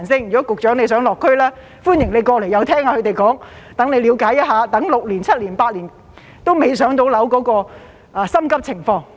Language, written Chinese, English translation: Cantonese, 如果局長想落區，歡迎過來聽一聽他們的說話，了解一下他們等候6年、7年、8年還未"上樓"的心急情況。, If the Secretary wants to visit the district he is welcome to come and listen to the people and learn how anxious they are after waiting for six seven or eight years and have not yet been allocated with PRH units